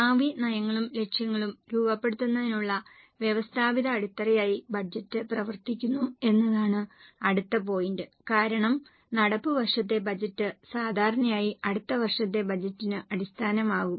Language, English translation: Malayalam, The next point is budget acts as a systematic base for framing future policies and targets because current year budget usually becomes base for next year budget